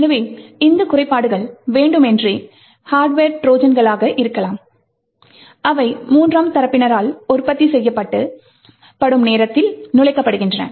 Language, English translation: Tamil, these flaws could be intentional hardware Trojans that are inserted at the time of manufacture by third parties